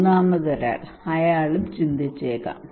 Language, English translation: Malayalam, A third person, he may think